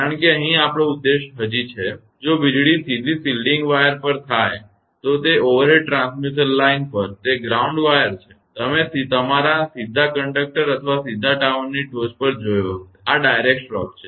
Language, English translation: Gujarati, Because our objective here is still; if lightning happens on a directly on the shielding wire; that is that ground wire on the overhead transmission line, you might have seen or directly to your conductor or directly on the top of the tower; these are direct stroke